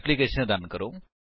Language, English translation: Punjabi, Run the application